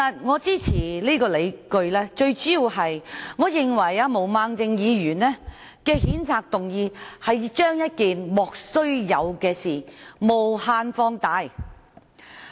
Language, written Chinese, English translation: Cantonese, 我支持的最主要原因，是毛孟靜議員的譴責議案把一件"莫須有"的事件無限放大。, The most major reason of mine for supporting it is that the censure motion of Ms Claudia MO has magnified an unjustifiable issue indefinitely